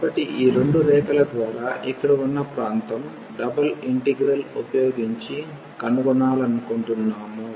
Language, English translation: Telugu, So, the area here enclosed by these two curves, we want to find using the double integral